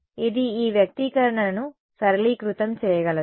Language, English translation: Telugu, Can this can this expression gets simplified